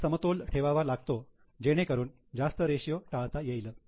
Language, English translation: Marathi, You need to have a balance, too high ratio is to be avoided